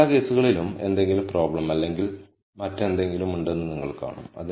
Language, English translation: Malayalam, In every other case you will see that there is some problem or other